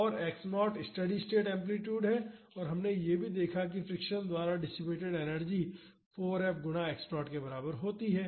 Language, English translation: Hindi, And, x naught is the steady state amplitude and we also saw that the energy dissipated by friction is equal to 4 F times x naught